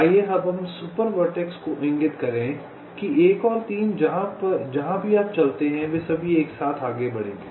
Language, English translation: Hindi, lets super vertex will indicate that one and three, where ever you move, they will all move together